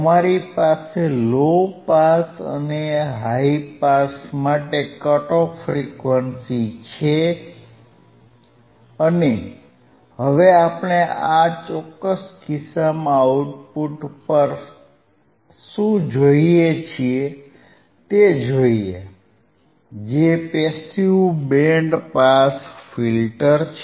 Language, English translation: Gujarati, Now yYou have the cut off frequency for low pass you have cut off frequency for and high pass and let us see what we see at the output in this particular case, which is the passive band pass filter